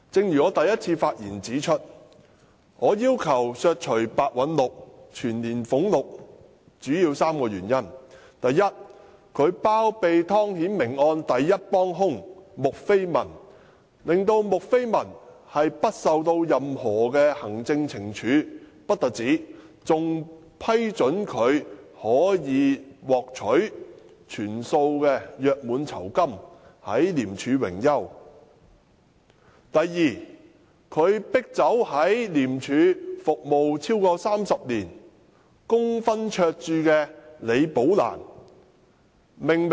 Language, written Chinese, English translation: Cantonese, 一如我在首次發言中指出，我要求削減白韞六的全年薪津的主要原因有三：第一，他包庇湯顯明案的第一幫兇穆斐文，不單令她無須接受任何行政懲處，更批准她可獲全數約滿酬金，在廉署榮休；第二，白韞六迫走在廉署服務超過30年的李寶蘭女士。, Just as I said in my first speech there are three major reasons for my demanding a cut of the annual personal emoluments of Simon PEH . First as harboured by Simon PEH Julie MU namely the prime accomplice in the Timothy TONG case managed to get off without being subjected to any punishment but was granted end - of - contract gratuity in full upon retirement in the end . Second Simon PEH had forced Ms Rebecca LI who had served in ICAC for more than 3 decades to leave her job